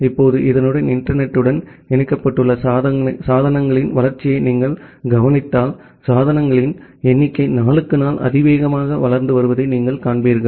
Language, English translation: Tamil, Now with this if you look into the grow of devices which we get connected to internet, then you will see that the number of devices are growing exponentially day by day